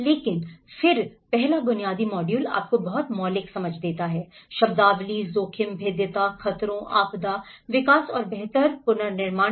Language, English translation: Hindi, But then, the first basic module gives you the very fundamental understandings of the terminology, risk, vulnerability, hazards, disaster, development and the build back better